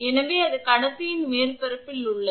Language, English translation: Tamil, So, that is at the surface of the conductor